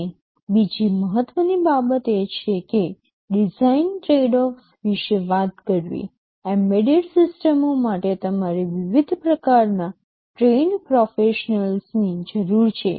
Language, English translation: Gujarati, And another important thing is that talking about design tradeoffs, for embedded systems you need a different kind of trained professionals